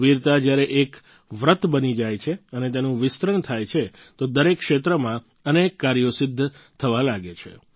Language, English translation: Gujarati, When bravery becomes a vow and it expands, then many feats start getting accomplished in every field